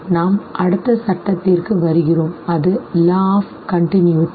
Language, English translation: Tamil, We come to the next law that is the law of continuity